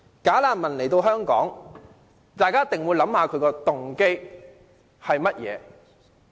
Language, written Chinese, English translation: Cantonese, "假難民"來到香港，大家一定要思考他們的動機為何。, We must think about the motives of those bogus refugees coming to Hong Kong